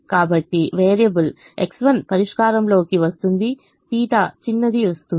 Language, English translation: Telugu, so the variable x one comes into the solution theta, smaller comes